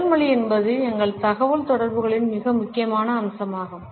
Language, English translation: Tamil, Body language is a very significant aspect of our communication